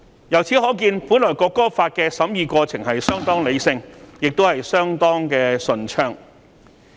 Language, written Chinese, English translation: Cantonese, 由此可見，《條例草案》的審議過程原本是相當理性，亦相當順暢。, This shows that the scrutiny of the Bill initially proceeded very rationally and smoothly